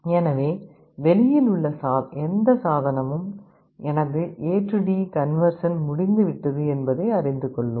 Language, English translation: Tamil, So, any device outside will know that my A/D conversion is over